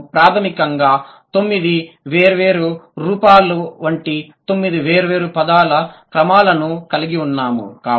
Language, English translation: Telugu, We have basically 9 different order like 9 different forms